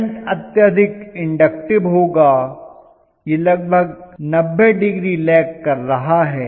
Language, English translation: Hindi, The current is going to be highly inductive, it is going to be almost lagging behind by 90 degrees, am I right